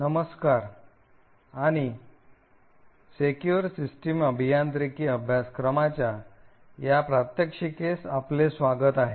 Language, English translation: Marathi, Hello and welcome to this demonstration in the course for Secure System Engineering